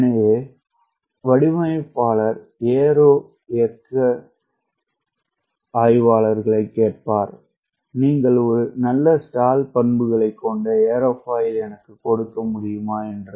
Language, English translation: Tamil, so designer will ask the aero dynamists: can you give me an aerofoil which has a very good stall characteristics